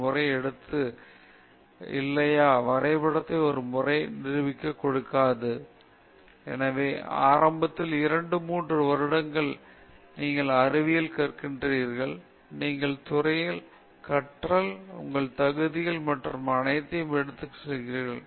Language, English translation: Tamil, The graph takes a turn okay where you get a rapid progress, then afterwards if you keep on spending more time, again, the progress is very less; therefore, initially, one, two, one, two, three years whatever, you are learning the science, you are learning your field, you are going through your qualifiers and all that